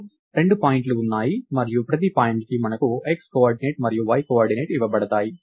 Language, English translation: Telugu, So, we have two points and for each point we are given the x coordinate and y coordinate